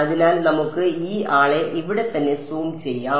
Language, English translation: Malayalam, So, let us zoom this guy over here right